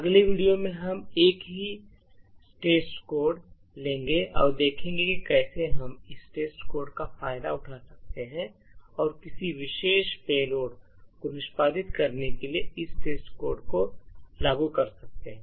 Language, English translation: Hindi, So, in the next video what we will see is that we will take the same test code and will see how we could exploit this test code and enforce this test code to execute a particular payload